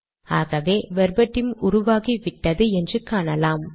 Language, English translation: Tamil, So you can see that the verbatim is created